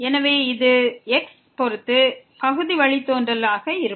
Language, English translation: Tamil, So, this will be the partial derivative with respect to